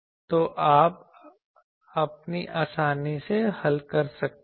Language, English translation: Hindi, So, you can easily now solve for getting